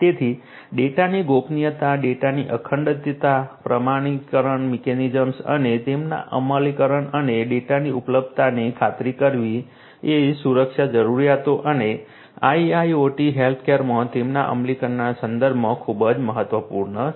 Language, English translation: Gujarati, So, ensuring the confidentiality of the data, integrity of the data, authentication mechanisms and their implementation and availability of the data are very important in terms of security requirements and their implementations in IIoT healthcare